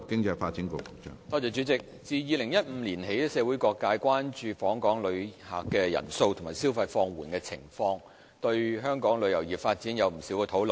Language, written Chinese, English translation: Cantonese, 主席，自2015年起，社會各界關注訪港旅客人數和消費放緩的情況，並對香港旅遊業發展有不少討論。, President since 2015 various sectors of society have showed concern about the decreasing number of visitor arrivals and the slowdown in tourist spending as well as widespread debate over the development of Hong Kongs tourism industry